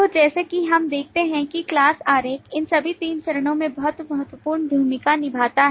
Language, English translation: Hindi, So the class diagram, as we see, play a role in all these 3 phases, very critical